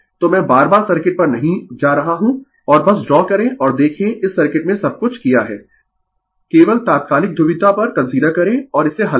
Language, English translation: Hindi, So, am not going to the circuit again and again just you draw and look it you have done this circuit everything , only consider instantaneous polarity and solve it